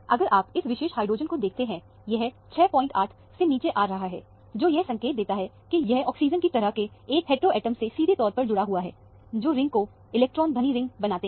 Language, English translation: Hindi, 8; that would indicate that, this is directly attached to an oxygen kind of a heteroatom, which makes the ring as an electron rich ring